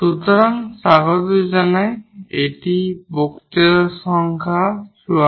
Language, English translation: Bengali, So, welcome back this is lecture number 54